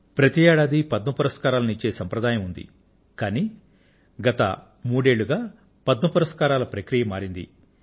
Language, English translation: Telugu, There was a certain methodology of awarding Padma Awards every year, but this entire process has been changed for the past three years